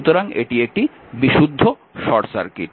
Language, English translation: Bengali, So, it is a pure short circuit